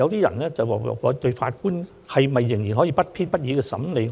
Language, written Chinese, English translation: Cantonese, 有人會問，現時法官退休後可以做甚麼呢？, One may ask What can Judges do upon retirement presently?